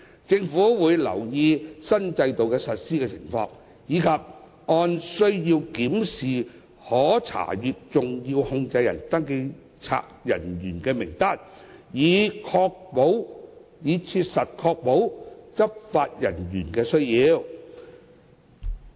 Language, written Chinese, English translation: Cantonese, 政府會留意新制度的實施情況，以及按需要檢視可查閱登記冊人員的名單，以確保切合執法需要。, The Government will keep in view the implementation of the new regime and review the specified list of accessible officers whenever necessary to ensure that it is in keeping with law enforcement needs